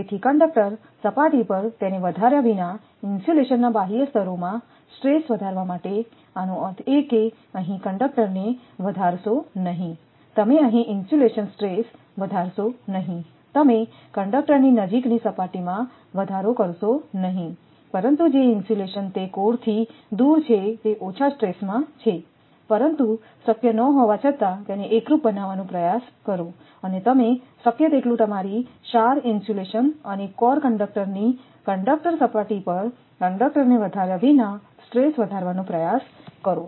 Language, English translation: Gujarati, So, as to increase the stress in outer layers of insulation without increasing it at the conductor surface; that means, do not increase it here conductor at the your stress you do not insulation stress here that you do not in increasing at the sur near the conductor, but those insulation which are away from the core it is under stress, but try to make it uniform although not possible, but as much as possible you try to increase the stress, but without increasing your at the conductor your sur insulation and at the conductor surface of core conductor right